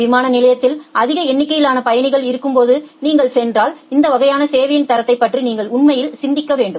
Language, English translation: Tamil, But if you go at the peak hours when there are huge numbers of passengers in the airport then you have to really think about this kind of quality of service